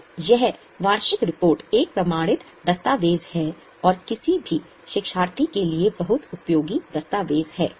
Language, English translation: Hindi, So, this annual report is an authenticated document and a very useful document for any learner